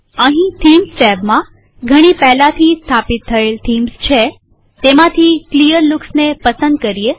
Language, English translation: Gujarati, Here under themes tab, we have many pre installed themes .Let us select Clearlooks